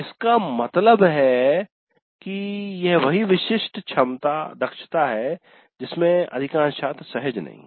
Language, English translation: Hindi, That means that is the specific competency where the major to the students are not comfortable